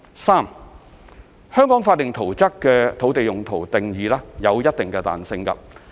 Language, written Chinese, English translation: Cantonese, 三香港法定圖則的土地用途定義有一定的彈性。, 3 The definition of land use in the statutory plans of Hong Kong allows a certain degree of flexibility